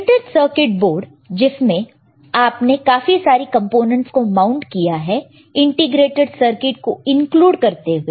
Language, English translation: Hindi, Printed circuit board on which you have mounted several components including your integrated circuit, where is it here, integrated circuit, right